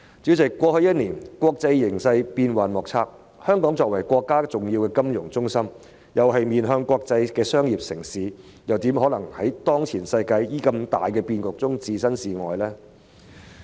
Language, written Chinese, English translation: Cantonese, 主席，過去一年國際形勢變幻莫測，香港作為國家重要的金融中心，亦是面向國際的商業城市，又怎可能在當前世界的重大變局中置身事外呢？, President over the last year there have been unpredictable changes in the international situation . As Hong Kong is an important financial centre of our country and also a commercial city orientating towards the international community how can it be unaffected by major changes of the world these days?